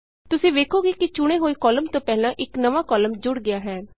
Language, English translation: Punjabi, You see that a new column gets inserted before the selected cell column